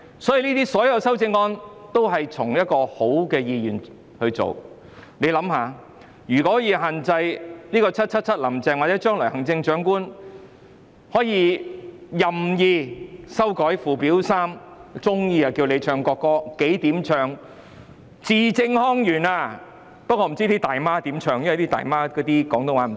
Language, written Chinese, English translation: Cantonese, 所有修正案也是以良好的意願提出，大家想想，如果 "777 林鄭"或將來的行政長官可以任意修改附表 3， 隨意要人唱國歌，要字正腔圓，不知道"大媽"怎樣唱，因為她們的廣東話不正宗......, All these amendments were proposed with good intentions . Come to think of it if 777 Carrie LAM or any future Chief Executives may amend Schedule 3 arbitrarily and require everyone to sing the national anthem articulately how will the Mainland Aunties be able to do so as they speak Cantonese with an accent no the national anthem is in Putonghua so actually we will be the ones in trouble because we may be jailed for singing it in poor Putonghua